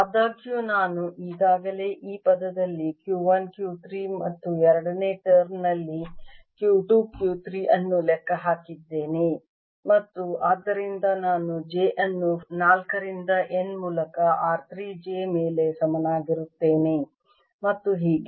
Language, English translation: Kannada, however, notice that i have already accounted for q one, q three in this term and q two, q three in the second term and therefore i have j equals four through n over r three, j and so on